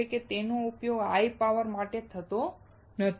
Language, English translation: Gujarati, it cannot be used for high power applications